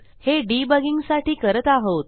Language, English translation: Marathi, I suggest you do this for debugging